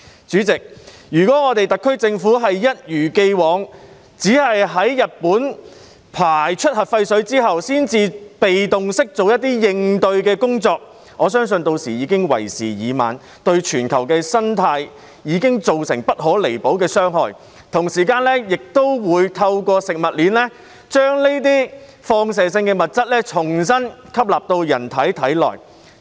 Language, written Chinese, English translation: Cantonese, 主席，如果特區政府一如既往，只在日本排出核廢水後才被動式做一些應對工作，我相信屆時已經為時已晚，對全球的生態已造成不可彌補的傷害；同時，市民亦都會透過食物鏈，將這些放射性物質重新吸納到人體內。, President if the SAR Government sticks to its passive approach of introducing some corresponding measures only after Japan has discharged the nuclear wastewater I believe it will be too late . Irreparable damage will be done to the ecology of the whole world these radionuclides will also make their way into our bodies through the food chain